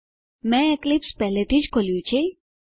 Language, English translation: Gujarati, I have already opened Eclipse